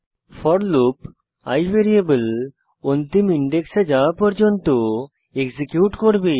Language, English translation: Bengali, The for loop will execute till the value of i variable reaches the last index of an array